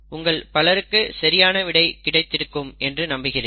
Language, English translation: Tamil, I am sure many of you have the right answer, you can check this